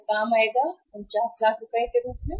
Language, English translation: Hindi, That will work out as 49 lakhs